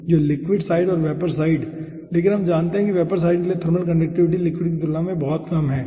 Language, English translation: Hindi, but we know for the vapor side, aah, the thermal ah conduction conductivity will be very low compared to the liquid side